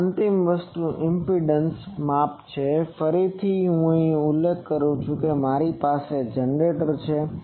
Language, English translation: Gujarati, This is a final thing impedance measurement; again I refer to that I have a generator